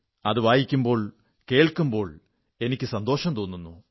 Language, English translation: Malayalam, When I read them, when I hear them, it gives me joy